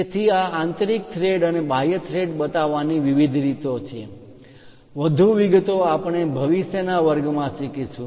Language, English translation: Gujarati, So, there are different ways of showing these internal threads and external threads, more details we will learn in the future classes about that